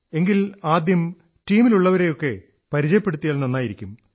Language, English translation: Malayalam, Then it would be better if you introduce your team